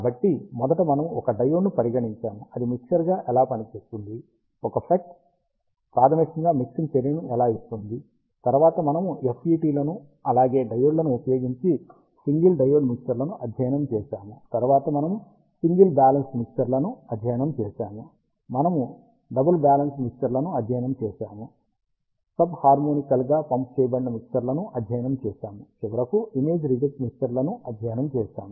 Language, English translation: Telugu, So, first we considered a diode, how it performs as a mixture, how a FET fundamentally gives mixing action, then we studied single diode mixers using FETs as well as diodes, then we studied single balanced mixers, we studied double balanced mixers, we studied ah sub harmonically pumped mixers, and finally we studied image reject mixers